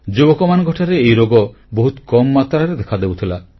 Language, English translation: Odia, Such diseases were very rare in young people